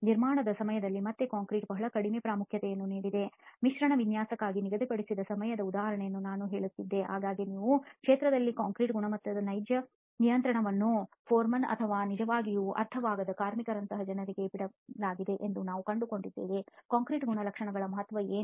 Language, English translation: Kannada, Again concrete has given very little importance during construction I was telling the example of the time allocated for mix design, very often you find that the real control of concrete quality the field is also left to people like foremen or workers who really do not understand what the significance of the concrete characteristics are